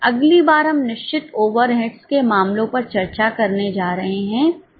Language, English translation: Hindi, Next time we are going to discuss the cases on the fixed orates